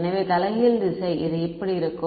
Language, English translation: Tamil, So, the reversed direction is going to be this right